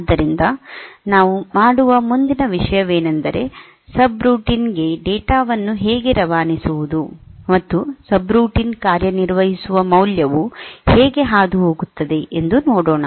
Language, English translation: Kannada, So, next thing that we do is a subroutine how are you passing data, passing the value on which the subroutine will operate